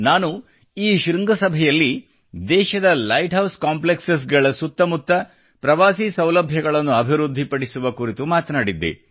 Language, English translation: Kannada, At this summit, I had talked of developing tourism facilities around the light house complexes in the country